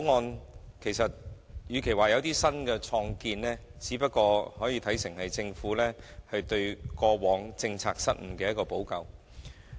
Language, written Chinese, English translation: Cantonese, 與其說這項《條例草案》有新建樹，不如說是政府對過往的政策失誤作出補救。, Instead of saying that this Bill has made a contribution I might as well describe it as a rectification of the past policy blunders of the Government